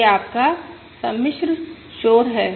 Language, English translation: Hindi, So this is your complex noise